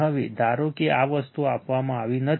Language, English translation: Gujarati, Now, suppose these things are not given